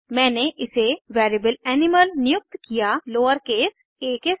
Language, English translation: Hindi, I have assigned it to a variable called animal with lowercase a